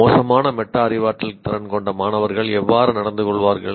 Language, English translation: Tamil, Students with poor metacognition skills, how do they behave